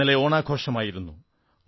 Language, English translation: Malayalam, Yesterday was the festival of Onam